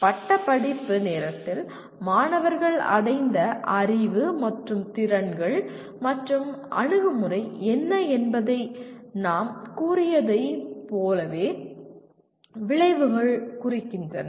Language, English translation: Tamil, Outcomes represent as we said what the knowledge and skills and attitude students have attained at the time of graduation